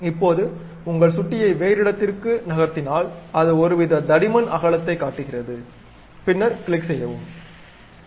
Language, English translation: Tamil, Now, just move your mouse to some other location it shows some kind of thickness width, then click, then this is done